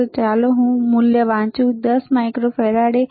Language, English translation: Gujarati, So, let me read the value, the value is 10 microfarad